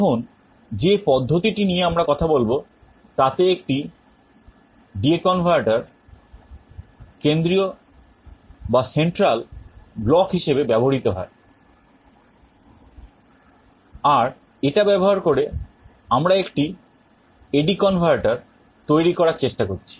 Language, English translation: Bengali, The methods that we talk about now use a D/A converter as our central block, and using that we are trying to realize an A/D converter